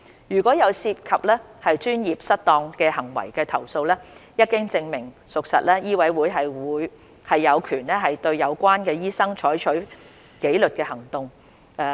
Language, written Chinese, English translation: Cantonese, 如有涉及專業失當行為的投訴，一經證明屬實，醫委會有權對有關醫生採取紀律行動。, Once complaints involving professional misconduct are found substantiated MCHK has the power to exercise disciplinary actions on the doctors concerned